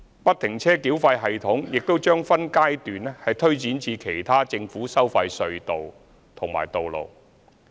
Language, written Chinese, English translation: Cantonese, 不停車繳費系統亦將分階段推展至其他政府收費隧道及道路。, FFTS will be rolled out in phases at other government - tolled tunnels and roads